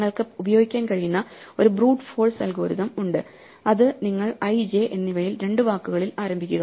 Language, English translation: Malayalam, There is a brute force algorithm that you could use which is you just start at i and j in two word